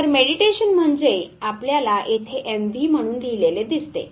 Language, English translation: Marathi, So, mediation means what you find written here as a MV